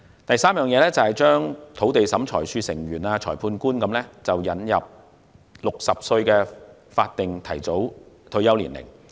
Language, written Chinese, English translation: Cantonese, 第三，為土地審裁處成員及裁判官等引入60歲法定提早退休年齡。, Third introduce a statutory early retirement age of 60 for Members of the Lands Tribunal Magistrates and other Judicial Officers at the magistrate level